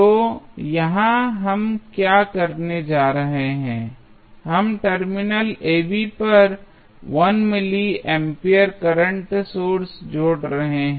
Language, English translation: Hindi, So, here what we are going to do we are adding 1 milli ampere of current source across the terminal AB